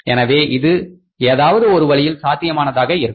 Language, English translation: Tamil, So, because it can be possible either way